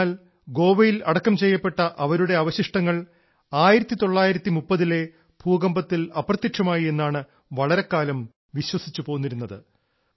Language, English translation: Malayalam, But, for a long time it was believed that her remains buried in Goa were lost in the earthquake of 1930